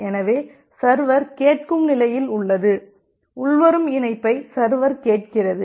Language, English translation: Tamil, So, we say that the server is in a listen state, the server is listening for the incoming connection